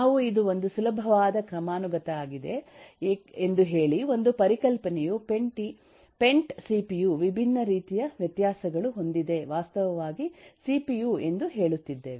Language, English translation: Kannada, we say this is kind of a easy hierarchy, that is 1 concept, say pent, cpu has different kinds of variations, all of which are actually cpu